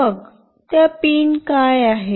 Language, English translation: Marathi, So, what are those pins